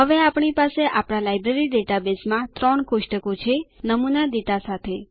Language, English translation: Gujarati, Now, we have the three tables in our Library database, with sample data also